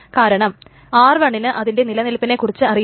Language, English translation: Malayalam, Because R1 doesn't know the existence of it